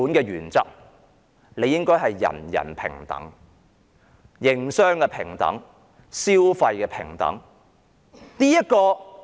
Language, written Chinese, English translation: Cantonese, 原本的情況理應是人人平等、營商平等、消費平等的。, Initially everybody should be equal in the sense that they should be equal in business operation and consumption